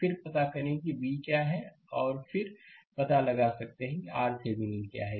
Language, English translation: Hindi, Then find out what is V right and then, you can find out what is R Thevenin